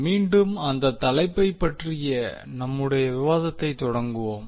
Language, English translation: Tamil, So let us start our discussion about the topic